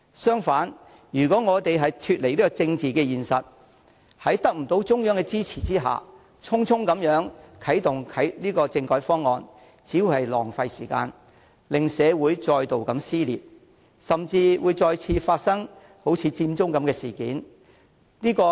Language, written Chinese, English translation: Cantonese, 相反，如果我們脫離政治現實，在得不到中央的支持下，匆匆啟動政改方案，只會浪費時間，令社會再度撕裂，甚至再次發生佔中事件。, On the contrary if we disregard the political reality and hurriedly kick start constitutional reform without the Central Authorities support it will just be a waste of time that will tear society apart or even causing another Occupy Central incident